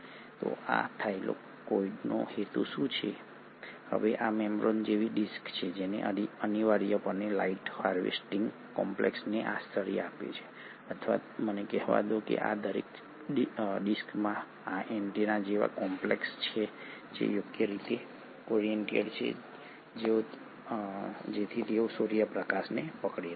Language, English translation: Gujarati, So what is the purpose of this Thylakoid, now these are disc like membranes which essentially harbour the light harvesting complex or let me say that each of these discs have these antenna like complexes which are suitably oriented so that they can capture the sunlight